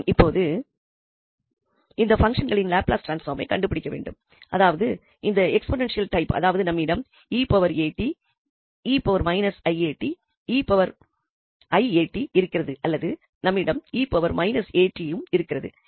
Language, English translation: Tamil, Okay, getting to the new problem now, we need to find now the Laplace transform of the functions, the exponential type, then that means we have e power at e power i a t and e power minus i a t or we can have also e power minus a t